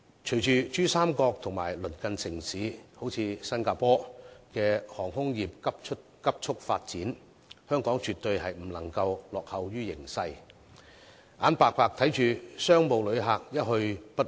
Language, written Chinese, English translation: Cantonese, 隨着珠三角及鄰近城市如新加坡等在航空方面急速發展，香港絕對不能夠落後於形勢，眼巴巴看着商務旅客一去不返。, Following the rapid development of the Pearl River Delta Region and neighbouring countries such as Singapore Hong Kong should absolutely not fall behind and helplessly watch our business travellers leave for good